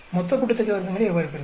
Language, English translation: Tamil, How do you get the total sum of squares